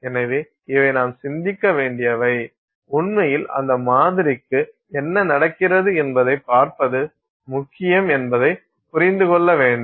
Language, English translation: Tamil, So, these are things that we need to think about and really to understand that it is important to look at what is happening to that sample